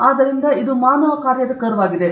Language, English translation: Kannada, So, this is a human function curve